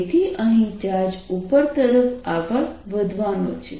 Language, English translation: Gujarati, so here is the charge moving upwards